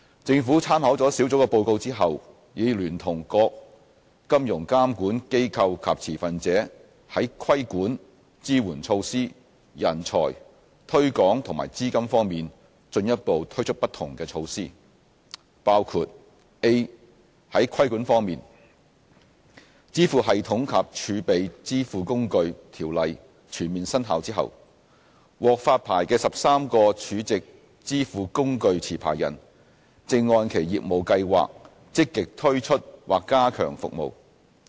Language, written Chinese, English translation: Cantonese, 政府參考了小組的報告後，已聯同各金融監管機構及持份者在規管、支援措施、人才、推廣和資金方面進一步推出不同的措施，包括： a 在規管方面，《支付系統及儲值支付工具條例》全面生效後，獲發牌的13個儲值支付工具持牌人正按其業務計劃積極推出或加強服務。, After considering the Steering Groups report the Government together with financial regulators and stakeholders has introduced an array of additional measures on regulation facilitation talent promotion and funding including a Regarding financial regulation after the full commencement of the Payment Systems and Stored Value Facilities Ordinance the 13 licensed stored value facility operators are launching new or enhancing their services according to their business plans